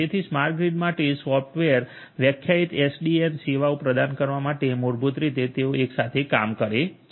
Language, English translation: Gujarati, So, together basically they work hand in hand in order to offer the software defined SDN and services for smart grid